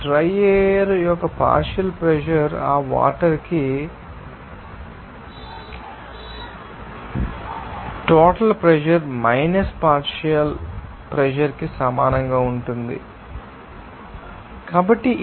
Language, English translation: Telugu, You can easily say that partial pressure of the dry air will be equal to total pressure minus partial pressure for that water